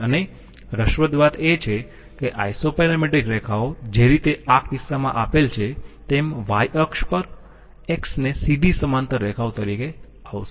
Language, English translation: Gujarati, And interestingly, the isoparametric lines will come, straight parallel lines to the X on the Y axis as the case made